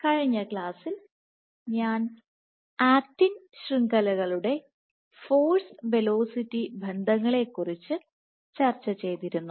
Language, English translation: Malayalam, So, in the last class I had discussed about force ferocity relationships of actin networks